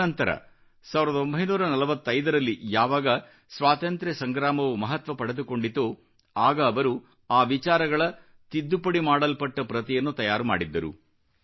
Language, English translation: Kannada, Later, in 1945, when the Freedom Struggle gained momentum, he prepared an amended copy of those ideas